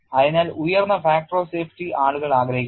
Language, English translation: Malayalam, So, people want to have a very high factor of safety